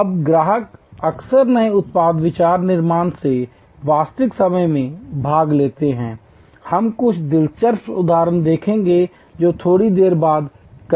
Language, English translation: Hindi, Now, customers often participate in real time in new product idea creation, we will see some interesting example say a little later